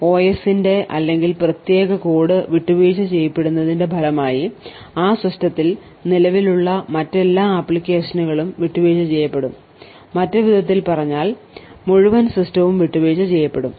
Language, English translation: Malayalam, The result of the OS or the privileged code getting compromised is that all other applications present in that system will also, get compromised, in other word the entire system is compromised